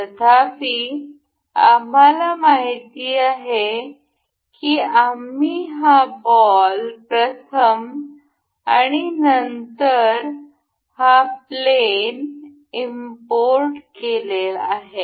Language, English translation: Marathi, However, as we know that we I have imported this ball for the first and then the this plane